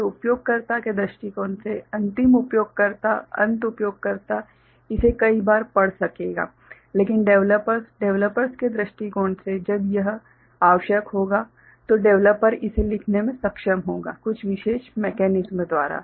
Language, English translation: Hindi, So, from the user point of view the final user end user will be able to read it many times ok, but the developers from developers point of view when it is required it will be able to, the developer will be able to write it by some special mechanism